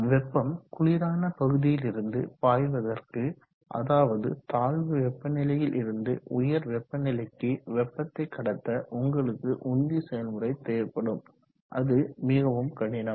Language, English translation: Tamil, When heat has to flow from a cold, low temperature to high temperature you need a pump, it is much more difficult